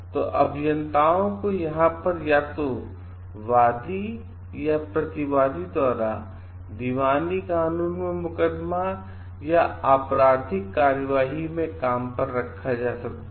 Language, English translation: Hindi, So, engineers may be here hired by either the plaintiff or the deference in both civil law suits or criminal proceedings